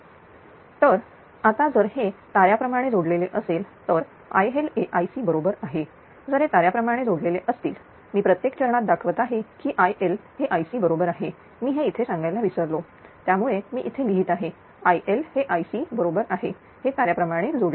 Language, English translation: Marathi, So, now if it is a star connected then I L is equal to I C, if it is star connected one I am showing in every phase that I L is equal to I C, I forgot to mention it here that is why I write here I L is equal to I C it is a star connected right